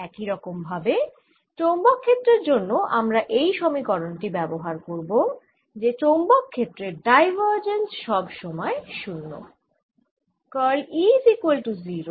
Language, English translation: Bengali, similarly now we use in the context of magnetic field this equation that the divergence of magnetic field is always zero